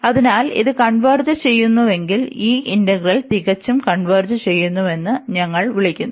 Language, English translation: Malayalam, So, if this converges, then we call that this integral converges absolutely